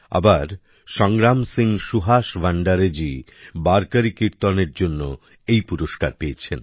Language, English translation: Bengali, On the other hand, Sangram Singh Suhas Bhandare ji has been awarded for Warkari Kirtan